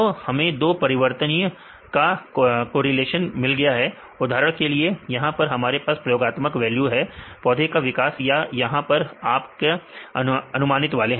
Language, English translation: Hindi, So, we can get the correlation between the two variables for example, here we have this experimental values the growth of the plant or here this is your predicted ones